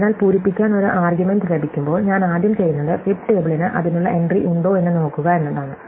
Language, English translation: Malayalam, So, when I get an argument to fill, the first thing I do is I look whether fib table has an entry for that